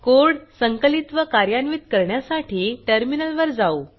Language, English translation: Marathi, To compile the code, type the following on the terminal